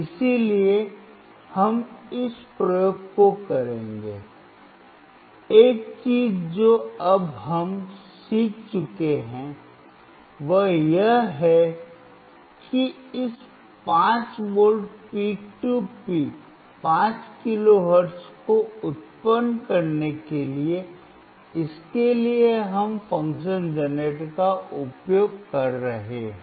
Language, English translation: Hindi, So, we will do this experiment so, the one thing that we have now learn is that for generating this 5V peak to peak 5 kilo hertz; for that we are using the function generator